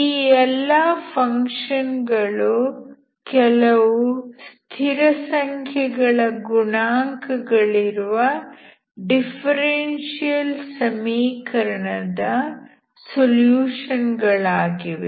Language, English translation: Kannada, Since each of these functions are solutions of some differential equation with constant coefficients